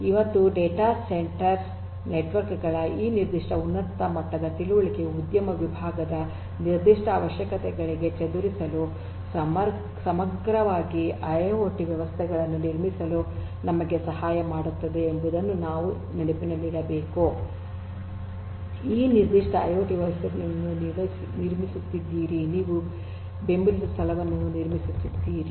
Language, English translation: Kannada, And, this we have to keep in mind that this particular you know high level understanding of data centre networks will help us to also build IIoT systems holistically for scattering to the specific requirements of the industry segment that, this particular IIoT that you are building the system that you are building where is going to support